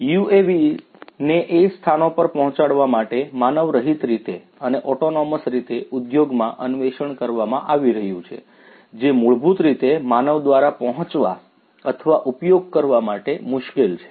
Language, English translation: Gujarati, UAVs are being explored in the industry to autonomously in an unmanned manner to reach out to places, which are basically difficult to be reached or accessible by humans